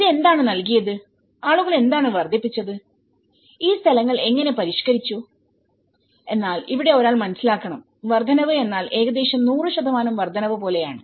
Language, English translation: Malayalam, So, what it has been provided and what the people have made incrementally, how they are modified these places but here one has to understand it is like the incrementality is almost like 100 percent of increase